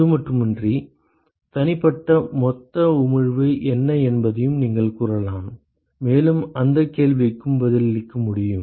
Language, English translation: Tamil, Not just that, you can also say what are the individual total emission so that and that question also can be answered ok